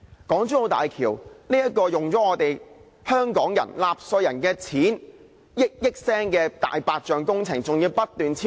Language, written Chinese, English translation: Cantonese, 港珠澳大橋這項花了香港納稅人以億元計金錢的"大白象"工程，更要不斷超支。, The HZMB project a big elephant work which has already cost the Hong Kong taxpayers billions of dollars has continued to record cost overruns